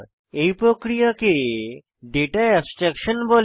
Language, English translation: Bengali, This mechanism is called as Data abstraction